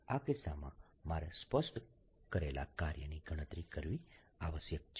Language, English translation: Gujarati, in this case i explicitly must calculate the work done